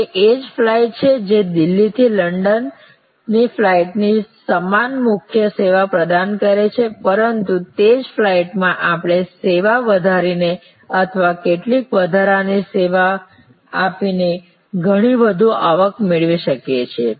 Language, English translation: Gujarati, So, it is the same flight offering the same core service of a flight from Delhi to London, but within that same flight we can have pockets of much higher revenue by enhancing the service or providing some additional service